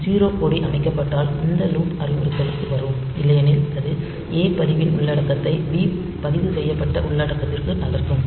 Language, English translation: Tamil, So, if a 0 flag is set, then it will be coming to this loop instruction this point back and then otherwise it will move the a register content to b registered content